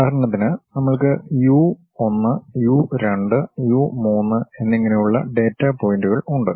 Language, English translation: Malayalam, For example, we have a data points something like u 1, u 2, u 3 and so on